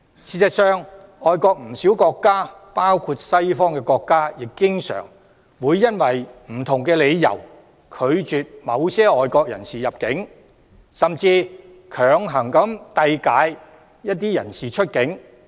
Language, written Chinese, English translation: Cantonese, 事實上，不少外國國家，包括西方國家，經常會因不同理由而拒絕某些外國人士入境，甚至強行遞解一些人士出境。, In fact many foreign countries including Western countries often refuse the entry of certain foreigners for different reasons and some people have even forcibly deported